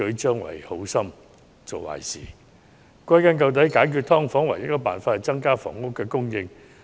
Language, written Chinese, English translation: Cantonese, 歸根究底，解決"劏房"的唯一方法是增加房屋供應。, In the final analysis the only solution to the problem of subdivided units is to increase housing supply